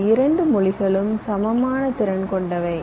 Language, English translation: Tamil, both of this languages are equally capable